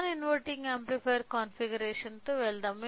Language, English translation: Telugu, So, let me go with a non inverting amplifier configuration